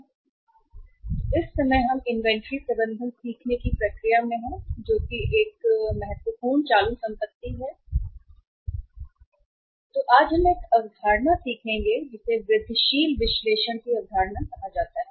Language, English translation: Hindi, So in the process of learning uh management of inventory as a as a important current asset, today we will learn uh a concept which is called as the concept of incremental analysis